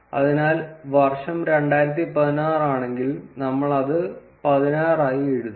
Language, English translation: Malayalam, So, if the year is 2016 then we will write it as 16